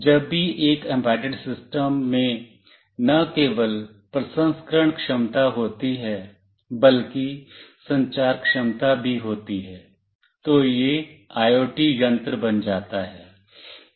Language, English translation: Hindi, Whenever an embedded system not only has processing capability, but also has communication capability, it becomes an IoT device